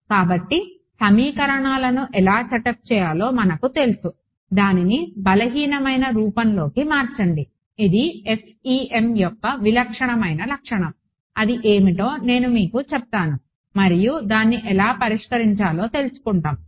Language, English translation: Telugu, So, we will work through how do we you know setup the equations, convert it into something called a weak form, which is very characteristic to FEM, I will tell you what that is and then how do we solve it ok